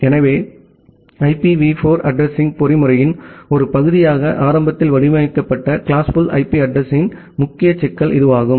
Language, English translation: Tamil, So, that was the major problem with the classful IP address that was initially designed as a part of IPv4 addressing mechanism